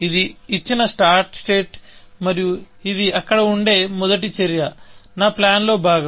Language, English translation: Telugu, This was the given start state, and this is the first action that will be there; part of my plan